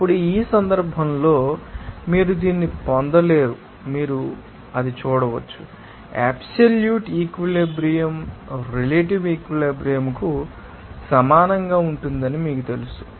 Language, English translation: Telugu, Then, in that case, you can see that you will not get this, you know that absolute saturation will be equal to relative saturation